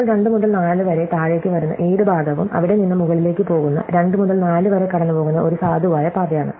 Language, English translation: Malayalam, Now, any part, which comes to the bottom 2 to 4 followed by any part, that goes from there to the top is a valid path passing through 2 to 4